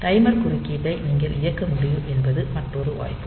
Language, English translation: Tamil, Other possibility is you can enable the timer interrupt